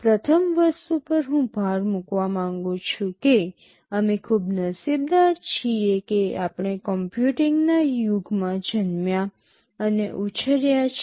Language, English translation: Gujarati, The first thing I want to emphasize is that, we have been very lucky that we have been born and brought up in an age of computing